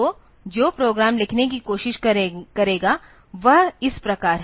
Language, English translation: Hindi, So, the program that will try to write is like this